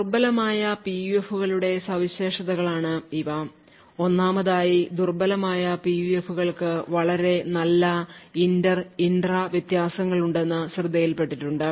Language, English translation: Malayalam, So, these are the properties of weak PUFs, 1st of all it has been noticed that weak PUFs have very good inter and intra differences